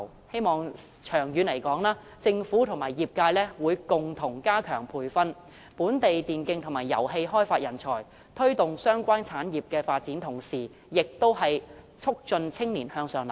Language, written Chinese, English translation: Cantonese, 希望長遠而言，政府和業界會共同加強培訓本地電競及遊戲開發人才，在推動相關產業發展的同時，亦有助促進青年向上流動。, I hope that in the long term the Government and the industries will jointly strengthen the training of local talents for e - sports and game development . While promoting the development of the relevant industries it can also facilitate upward movement of young people . In closing Deputy Chairman I wish to talk about the civil service